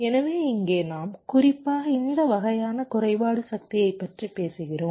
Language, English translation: Tamil, ok, so here we are specifically talking about this kind of glitching power